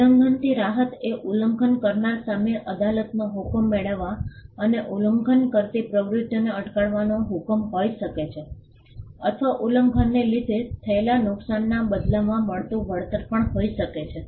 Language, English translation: Gujarati, The relief of infringement can be injunction getting a court order against the infringer and stopping the activities the infringing activities or it could also be damages pertains to compensation in lieu of the loss suffered by the infringement